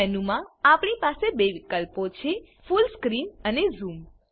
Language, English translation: Gujarati, In the View menu, we have two options Full Screen and Zoom